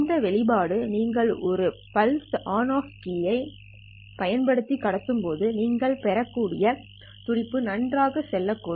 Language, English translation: Tamil, This expression could very well tell you the pulse that you might have received when you are transmitting using a pull on off keying system